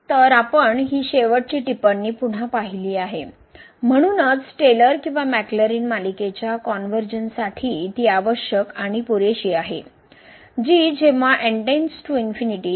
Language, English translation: Marathi, So, what we have seen this last remark again, so it is necessary and sufficient for the convergence of the Taylor’s or the Maclaurin series that goes to 0 as goes to infinity